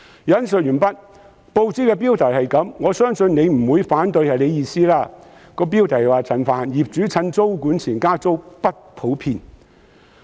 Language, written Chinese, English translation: Cantonese, 以下是報紙的標題——我相信局長不會反對那是他的意思——"陳帆：業主趁租管前加租不普遍"。, Here is the headline of a newspaper―I do not think the Secretary will deny that was what he meant to say―Frank CHAN Rent increases before tenancy control are uncommon